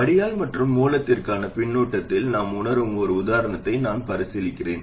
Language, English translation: Tamil, Let me consider an example where we censored the drain and feedback to the source